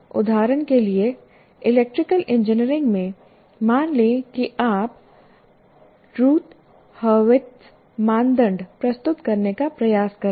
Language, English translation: Hindi, For example, in electrical engineering, let's say you are trying to present something like Roth Harvard's criteria